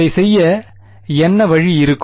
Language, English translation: Tamil, And what would be the way to do it